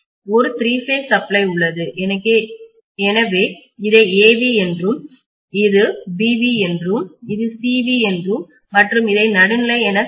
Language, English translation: Tamil, Let us say I have a three phase supply here, so let me call this as VA, this as VB and this as VC and this is the neutral, okay